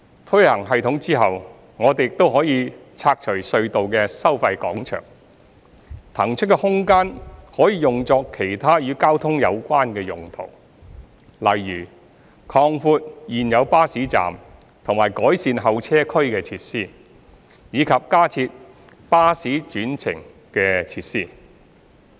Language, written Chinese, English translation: Cantonese, 推行系統後，我們亦可以拆除隧道的收費廣場，所騰出的空間可以用作其他與交通有關的用途，例如擴闊現有巴士站及改善候車區設施，以及加設巴士轉乘設施。, Upon implementation of FFTS we can demolish the toll plazas at the tunnels and the space freed up can be used for other transport - related purposes such as enlargement of the existing bus stops enhancement of the facilities at the waiting areas and setting up additional bus - bus interchange facilities